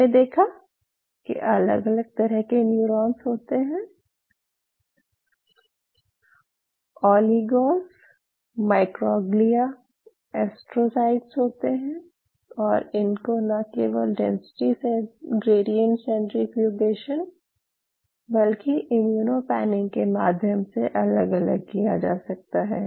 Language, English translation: Hindi, You have different kind of neurons different all oligos microglia astrocytes and not only you can separate them out using density gradient, you can separate them out further separation can be achieved by virtue of which they are immuno panning